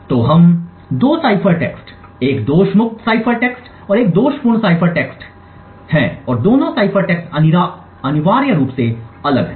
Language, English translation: Hindi, So we have two cipher text a fault free cipher text and a faulty cipher text and both the cipher text are essentially different